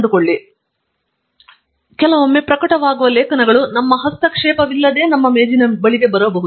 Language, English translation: Kannada, So, sometimes it is also possible that the articles that are being published can come to our desk without our intervention